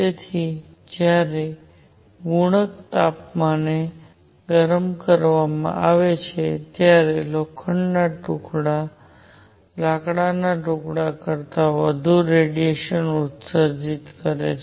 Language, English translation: Gujarati, So, iron when heated to a certain temperature would emit much more radiation than a piece of wood